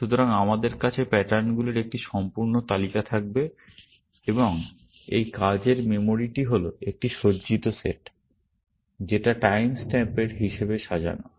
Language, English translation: Bengali, So, we will have a whole list of patterns, and this working memory is an ordered set; ordered, in the sense of time stamp